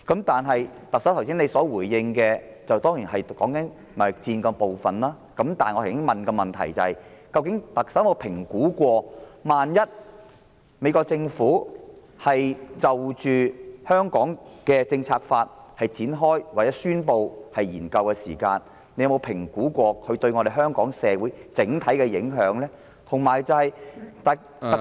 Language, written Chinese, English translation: Cantonese, 特首剛才的回應是關乎貿易戰的部分，但我剛才提出的質詢是，究竟特首有否評估一旦美國政府就《香港政策法》展開或宣布進行研究將會對香港社會造成的整體影響？, The Chief Executive talked about the trade war in her reply just now . But my question earlier was whether the Chief Executive had assessed the overall impact on Hong Kong society in the event that the United States Government commenced or announced the commencement of a study on the Hong Kong Policy Act